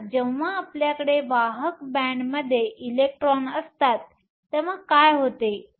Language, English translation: Marathi, So, what happens when we have an electron in the conduction band